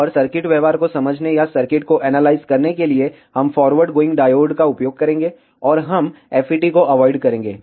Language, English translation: Hindi, And to understand the circuit behaviour or to analyse the circuit, we will use diodes going forward, and we will avoid FETs